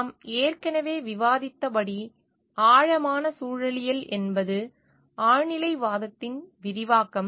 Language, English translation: Tamil, Deep ecology as I have already discussed is an extension of transcendentalism